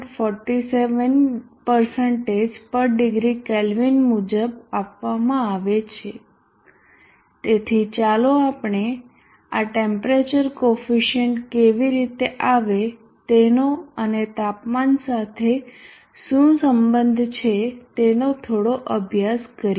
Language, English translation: Gujarati, 47%/ degree K, so let us study bit on how these temperature coefficients come about and what is there relationship with respect to temperature